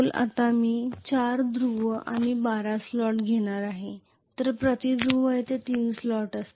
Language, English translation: Marathi, Now I am going to have 4 Poles and 12 slots, so there will be 3 slots per Pole